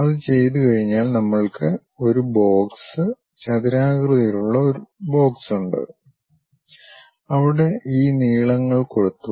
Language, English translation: Malayalam, Once it is done we have a box, rectangular box, where these lengths have been transferred